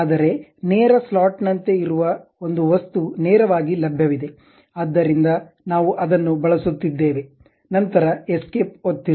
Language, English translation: Kannada, But there is an object straight forwardly available as straight slot; so, we are using that, then press escape